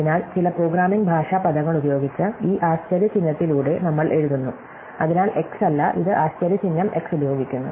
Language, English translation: Malayalam, So, we write that with this exclamation mark using some programming language terminologies, so not x it is used an exclamation mark x